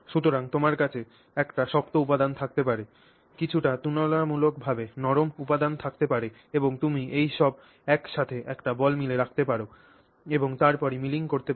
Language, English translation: Bengali, So, you may have one hard material, one somewhat relatively softer material and you can put it all together in a ball mill and then do the milling